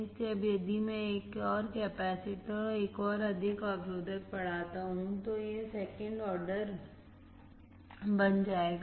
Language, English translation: Hindi, So, now, if I increase one more capacitor and one more resistor, it will become second order